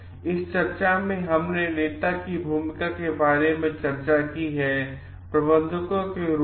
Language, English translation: Hindi, In this discussion we have discussed about the role of leader s managers